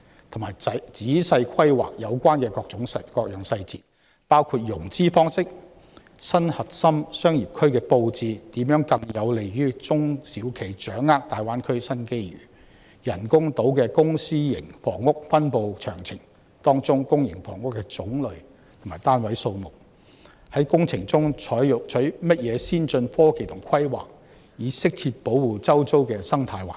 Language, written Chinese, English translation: Cantonese, 同時，政府須仔細規劃各項細節，包括：融資方式；新核心商業區的布置如何更有利中小企掌握大灣區的新機遇；人工島的公私營房屋分布詳情；當中公營房屋的種類和單位數目；以及在工程中採用甚麼先進科技及規劃以適切保護周遭的生態環境。, At the same time the Government must meticulously plan all details including the financing arrangements how the layout of the new CBD can better facilitate SMEs in capitalizing on the new opportunities brought by the Greater Bay Area development the detailed distribution of public and private housing on the artificial island the types and number of public housing units and what advanced technology and planning will be adopted in the construction works to afford appropriate protection to the ecological environment in the vicinity